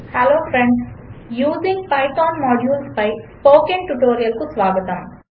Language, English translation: Telugu, Hello Friends and Welcome to the spoken tutorial on Using Python Modules